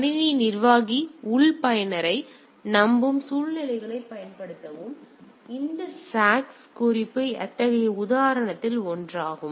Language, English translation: Tamil, Typically use situation in which system administrator trusts the internal user; so this socks package is one of such example